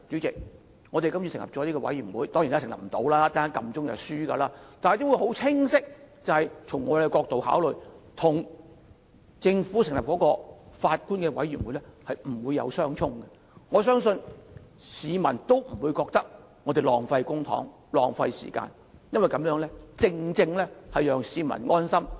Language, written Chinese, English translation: Cantonese, 這個專責委員會跟政府成立由法官領導的調查委員會不會相沖，我相信市民也不會認為我們浪費公帑或時間，因為這樣做，正正可讓市民安心。, The proposed select committee will not clash with the judge - led Commission of Inquiry set up by the Government . I believe the public will not think we are wasting public money or time because if we conduct an inquiry it will ease their minds